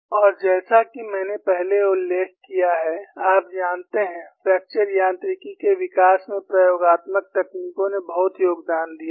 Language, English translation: Hindi, And as I mentioned earlier, you know, experimental techniques have contributed greatly to the development of fracture mechanics